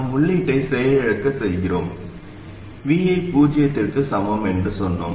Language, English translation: Tamil, And we deactivate the input, we set VI equal to 0